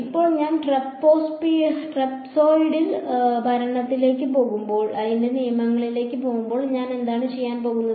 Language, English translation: Malayalam, So now, when I go to trapezoidal rule what am I going to do